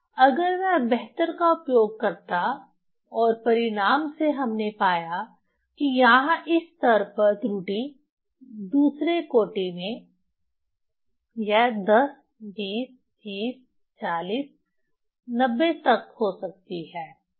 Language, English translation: Hindi, So, if we use the better and from result as I from significant figure we found that error here in this level, in second order, so it is the 10, 20, 30, 40 up to 90 it can be, error